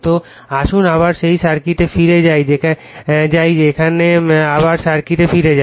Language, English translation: Bengali, So, let us go back to that your circuit again here let us go back to the circuit again